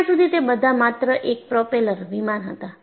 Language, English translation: Gujarati, Until then, they were all only propeller planes